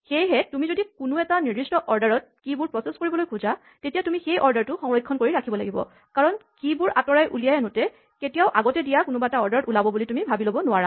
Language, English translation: Assamese, So, you should always ensure that if you want to process the keys in a particular order make sure that you preserve that order when you extract the keys you cannot assume that the keys will come out in any given order